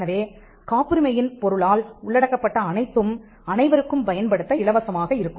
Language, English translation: Tamil, So, whatever was covered by the subject matter of a patent, will then be free for everybody to use it